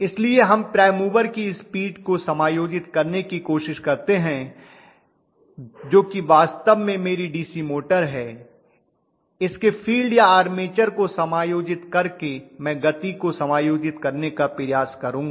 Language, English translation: Hindi, So we try to adjust the speed of the prime mover which is actually my DC motor by adjusting its field armature I will try to adjust the speed